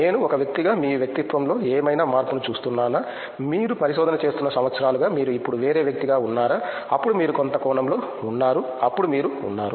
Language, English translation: Telugu, I am just curious do you see any change in your personality as a as a person, over the years that you have become been doing the research, are you a different person now then you were in some sense, then you were